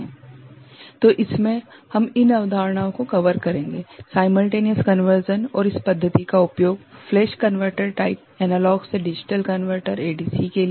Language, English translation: Hindi, So, in this we shall cover these concepts simultaneous conversion and use of this method for flash converter type analog to digital converter ADC